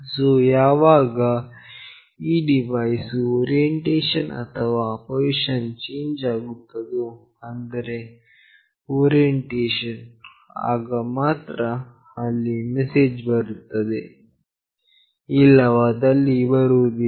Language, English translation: Kannada, So, whenever there is a change in orientation or change in position of this device that is the orientation, then only there is a message coming up, otherwise no